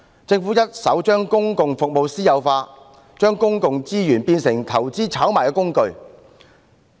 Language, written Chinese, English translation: Cantonese, 政府一手將公共服務私有化，將公共資源變成投資炒賣的工具。, It was no other party than the Government that privatized public services and turned public resources into tools of investment and speculation